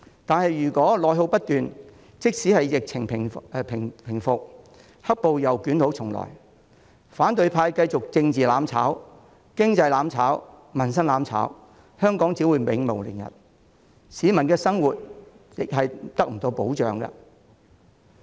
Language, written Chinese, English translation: Cantonese, 但如果內耗不斷，即使疫情平復，"黑暴"又捲土重來，反對派繼續政治"攬炒"、經濟"攬炒"、民生"攬炒"，香港只會永無寧日，市民的生活亦得不到保障。, But with endless internal depletion even if the epidemic is over the unlawful and violent protesters will come back stronger . The opposition camp will continue on the path that leads to mutual destruction politically economically and socially . Hong Kong will never have a moment of peace and peoples life will not be protected